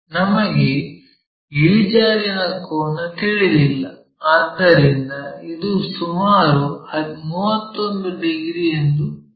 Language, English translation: Kannada, The inclination angle we do not know so let us measure that, this is around 31 degrees, this one 31 degrees